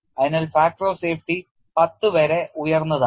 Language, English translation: Malayalam, So, the safety factor is as high as ten